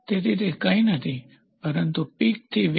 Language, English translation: Gujarati, So, that is nothing, but peak to valley